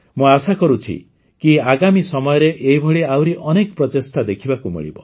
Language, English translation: Odia, I hope to see many more such efforts in the times to come